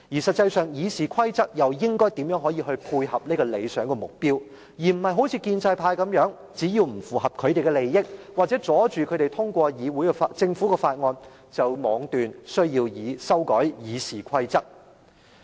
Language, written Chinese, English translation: Cantonese, 實際上，《議事規則》又應該如何配合這個理想目標，而非像建制派般，只要是不符合他們的利益，或者阻礙他們通過政府法案，便妄斷要修改《議事規則》。, In fact in what ways can RoP facilitate the achievement of this target? . RoP should not be amended arbitrarily as what the pro - establishment camp is trying to do now that is when the rules are not in their interest or prevent them from passing Government motions they consider amendments necessary